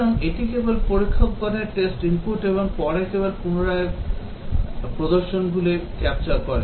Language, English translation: Bengali, So, it just captures the testers test input and later just replays